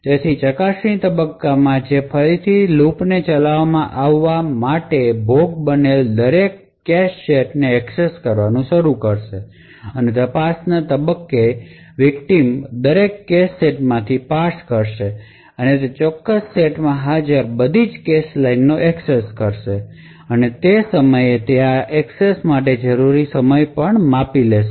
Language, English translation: Gujarati, So in the probe phase which is again this for loop being executed the victim would start to access every cache set and in the probe phase the victim would parse through every cache set and access all the cache lines present in that particular set and at that time it would also measure the time required to make these accesses